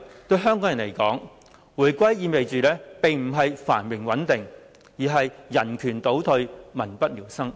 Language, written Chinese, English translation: Cantonese, 對香港人來說，回歸意味的並不是繁榮穩定，而是人權倒退、民不聊生。, To people of Hong Kong reunification does not imply prosperity and stability but regression of human rights and extreme misery